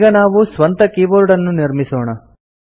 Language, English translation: Kannada, We shall now create our own keyboard